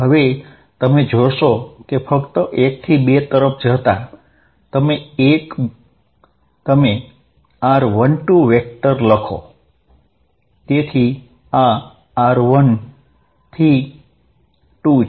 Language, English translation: Gujarati, Now, you will see that just write r 1 2 vector from going from 1 to 2, so this is r from 1 to 2